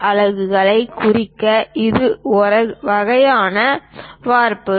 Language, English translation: Tamil, This is a one kind of template to represent units